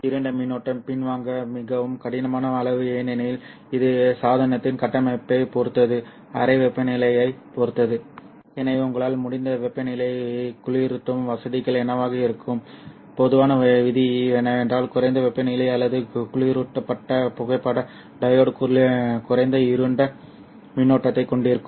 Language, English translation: Tamil, And dark current is a very difficult quantity to pin down because it depends on the device structure depends on the room temperature and hence what would be the temperature cooling facilities that you can the general rule is that the lower the temperature or a cooled photodiod will have lesser dark current but it also depends on the casing depends on all kind of other other factors